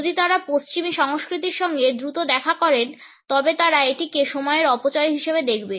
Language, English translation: Bengali, If he has met quickly the western cultures will see it as a waste of time